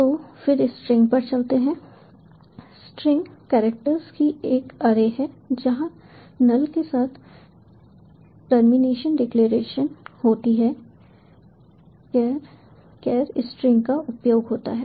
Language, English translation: Hindi, so then, moving on to string, string is an array of characters with null, as the termination declaration is maybe using char, char, string